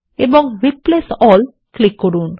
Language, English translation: Bengali, Now click on Replace All